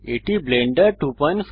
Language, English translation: Bengali, This is Blender 2.59